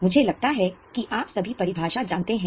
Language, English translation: Hindi, I think you all know the definition